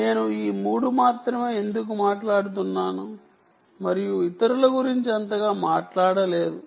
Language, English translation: Telugu, why am i harping on only these three and not didnt talk so much about the others